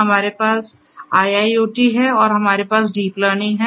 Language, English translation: Hindi, We have IIoT, we have IIoT and we have deep learning